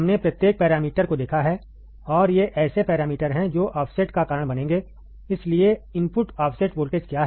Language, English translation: Hindi, We have seen every parameter, and these are the parameters that will cause the offset, So, what is input offset voltage